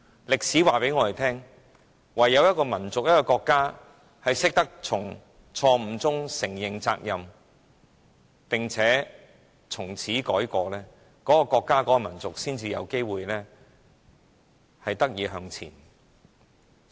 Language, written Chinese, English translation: Cantonese, 歷史告訴我們，一個國家或民族唯有懂得從錯誤中承認責任並從此改過，這個國家或民族才有機會得以向前。, History tells us that a country or nation can progress only if it is willing to admit responsibility for its mistakes and turn over a new leaf